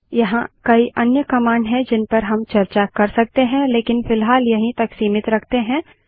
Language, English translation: Hindi, There are several other commands that we could have discussed but we would keep it to this for now